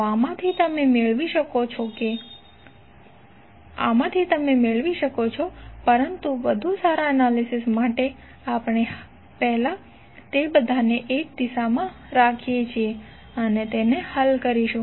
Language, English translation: Gujarati, So from this you can get but for better analysis we first keep all of them in one direction and solve it